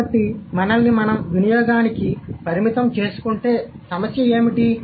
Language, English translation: Telugu, So, what is the problem if we restrict ourselves with usage